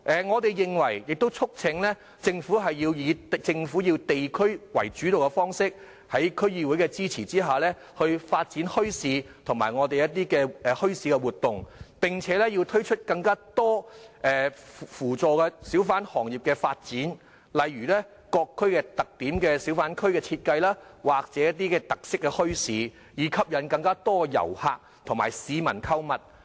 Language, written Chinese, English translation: Cantonese, 我們促請政府要以地區主導的方式，在區議會支持下發展墟市和墟市活動，並推出更多扶助小販行業發展的政策，例如按各區的特點設計小販或特色墟市，以吸引更多遊客和市民購物。, We urge the Government to adopt the district - led approach in the development of bazaars and bazaar activities with the support of DCs and introduce more policies to support the development of the hawker industry such as designing hawking areas or feature bazaars based on the characteristics of various districts to attract more tourists and people to go there for shopping